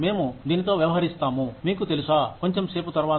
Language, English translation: Telugu, We will deal with this, you know, a little later